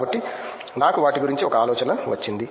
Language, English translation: Telugu, So, I just got an idea of all of those